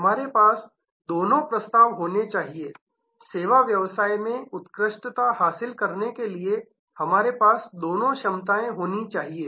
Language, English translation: Hindi, We must have both offerings, we must have both capabilities to excel in the service business